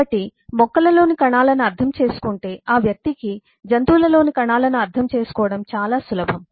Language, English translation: Telugu, so if one understand cells then in plants, then it is much easier for the person to go and understand cells in animals